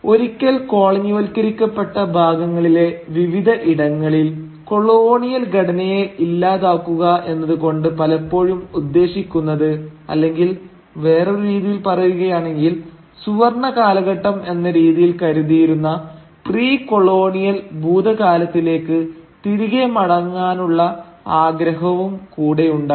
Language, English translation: Malayalam, Now, in various parts of the once colonised world, to do away with the colonial structure often meant, or rather I should say, was often accompanied by a desire to revert back to a precolonial past which is again often assumed to be some sort of a golden age